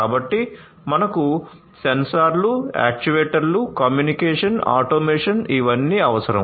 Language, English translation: Telugu, So, we need sensors, actuators, communication, automation all of these things